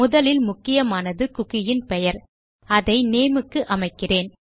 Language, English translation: Tamil, The first vital one I will use is the name of the cookie which I will set to name